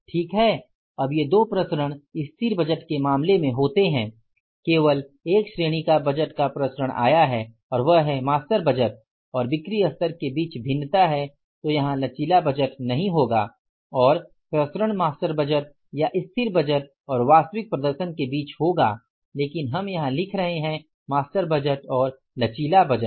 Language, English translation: Hindi, In case of the static budget only one category of the variance is come up that is the variance between the master budget and the sales level then it will not be a flexible budget here then the variance will be between the master budget or static budget and the actual performance but we are writing here master budget and flexible budget